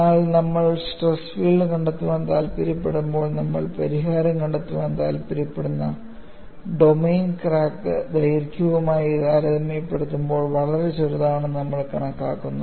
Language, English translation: Malayalam, But when we actually want to find out the stress field, we are bringing in an approximation, the domain in which we want to find the solution, is much smaller compared to the crack line;, and we simplify,